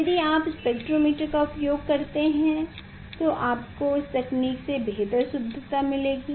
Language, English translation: Hindi, if you use the spectrometers you will get better accuracy innovation than this technique